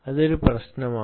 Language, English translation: Malayalam, that is an issue